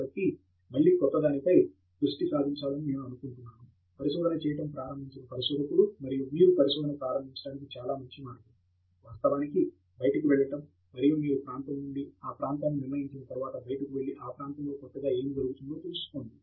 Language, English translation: Telugu, So, I think again we have been focusing on a new researcher who is beginning to do research, and one very good way to start your research, of course, is to go out and once you fix the area and area is decided, go out and see what is latest happening in that area